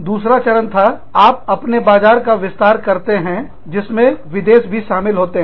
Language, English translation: Hindi, Stage two, you expand your market, to include foreign countries